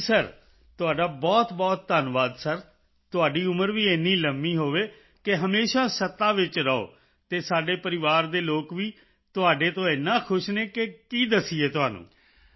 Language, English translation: Punjabi, Sir, thank you very much sir, may you live so long that you always remain in power and our family members are also happy with you, what to say